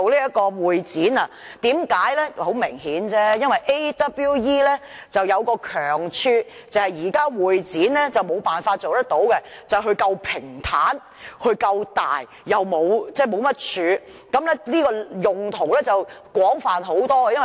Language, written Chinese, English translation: Cantonese, 很明顯，亞洲國際博覽館有一強項，是現時會展無法做到的，就是它夠平坦、夠大，沒有太多支柱，用途廣泛很多。, It is very obvious that AsiaWorld - Expo has a strong point that the existing HKCEC can never have and that is providing a vast and spacious place with not too many columns and thus can serve multiple purposes